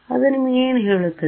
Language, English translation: Kannada, So, what does that tell you